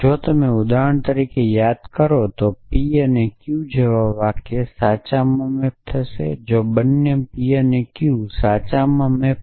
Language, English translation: Gujarati, So, if you remember for example, a sentence like p and q would map to true if both p map to true and q map to true and so on